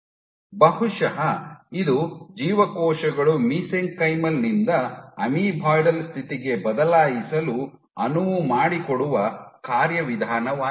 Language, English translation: Kannada, So, maybe this is the mechanism which an enable cells to switch from a mesenchymal to an amoeboidal state